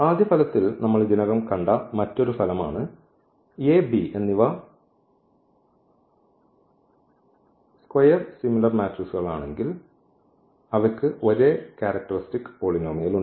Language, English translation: Malayalam, Another result which actually we have seen already in this first result A B are the square similar matrices, then they have the same characteristic polynomial